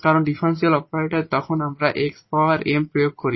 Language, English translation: Bengali, And now we can apply this differential operator on this x square plus 1